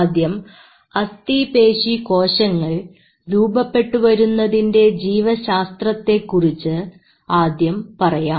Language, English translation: Malayalam, First of all, let's talk about the development biology of skeletal muscle growth